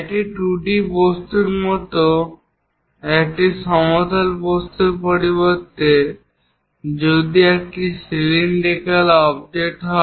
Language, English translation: Bengali, Instead of a plane object like 2d object, if it is a cylindrical object let us look at it